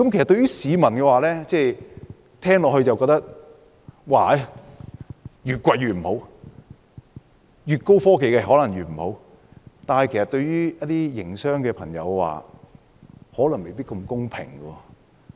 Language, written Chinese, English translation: Cantonese, 對於市民來說，聽罷這些測試便覺得價格越高越不好，越高科技可能越不好，但其實對於一些營商朋友未必公平。, People will conclude after hearing about these tests that the higher the prices the worse the quality will be and the higher the technology level the worse the product will be . Such conclusion may not be fair to some of our friends in the business sector